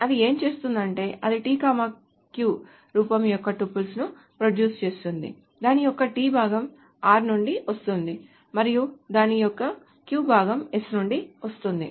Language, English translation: Telugu, So what it does is that it produces tuples of the form tq such that t comes from the t part of it comes from r and the q part of it comes from s